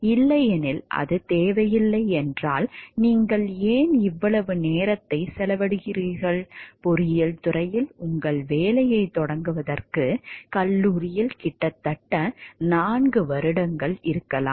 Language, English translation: Tamil, Otherwise like if it is not required then why do you spend so, much time in may be nearly four years in college to get to start your job in engineering